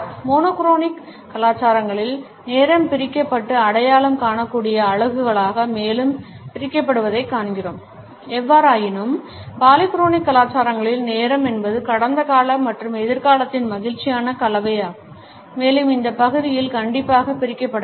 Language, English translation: Tamil, In the monochronic cultures we find that time is divided and further subdivided into identifiable units; however, in polychronic cultures we find that time is a happy mixture of past present and future and these segments are not strictly segregated